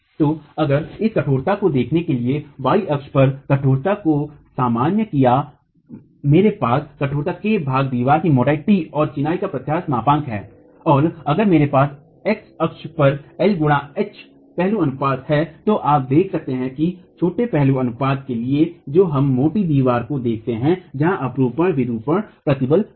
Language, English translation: Hindi, So, if I way to look at the stiffness, normalized stiffness on the y axis, I have stiffness K divided by thickness of the wall t and the model is of elasticity of masonry normalized and if I have the aspect ratio h by l on the x axis you see that for small aspect ratios for small aspect ratios implying that we're looking at squat walls